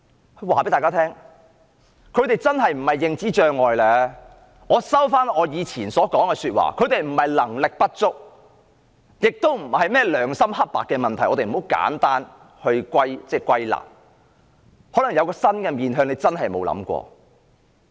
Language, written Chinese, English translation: Cantonese, 讓我告訴大家，他們真的不是患上認知障礙，我收回以前說過的話，他們不是能力不足，也不是甚麼良心黑白的問題，不要太簡單地把問題歸納，而是可能有一個新的面向，是大家真的沒有想過的。, I now withdraw my previous remarks . They are not incompetent and this is not a question of whether one has a clear conscience . We should not draw too simple a conclusion on this as there may be a new side of it that we really have never thought about